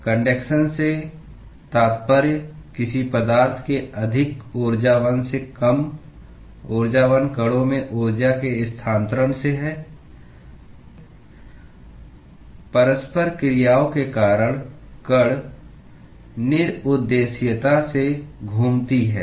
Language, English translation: Hindi, Conduction refers to transfer of energy from the more energetic to the less energetic particles of a substance, due to interactions between the particles moving randomly